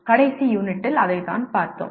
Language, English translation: Tamil, That is what we looked at in the last unit